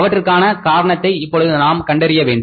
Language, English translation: Tamil, Now we have to find out the reasons for that